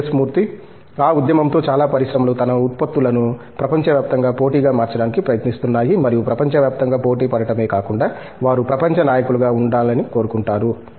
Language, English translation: Telugu, With that movement, a lot of industries are trying to make their products globally competitive and not only globally competitive they would like to be global leaders